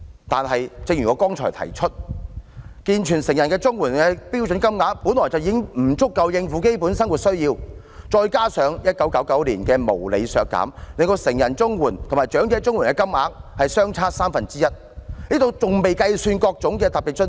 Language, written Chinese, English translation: Cantonese, 可是，正如我剛才提出，健全成人綜援的標準金額本來已不足以應付基本生活需要，再加上1999年時的無理削減，令成人綜援和長者綜援的金額相差三分之一，這還未計算各種特別津貼。, Yet as I pointed out earlier the CSSA standard rate payment for able - bodied recipients is unable to cover their basic needs and with the unreasonable cut in 1999 the CSSA payment for adult recipients is lower than that of elderly recipients by one third which does not include the various special grants for elderly recipients